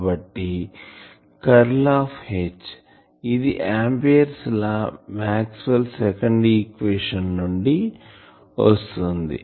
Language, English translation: Telugu, So, there is a curl of H the right side will be so that equation which Amperes law Maxwell’s second equation